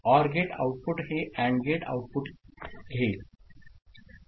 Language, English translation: Marathi, So OR gate output will be taking this AND gate output